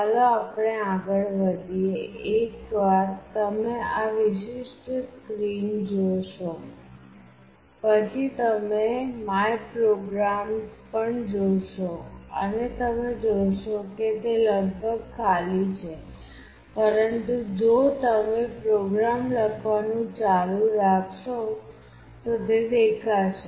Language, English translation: Gujarati, Let us move on; once you see this particular screen you will also see my programs and you see that it is almost empty, but if you keep on writing the programs it will show up